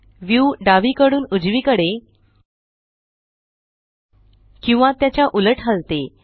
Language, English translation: Marathi, The view rotates left to right and vice versa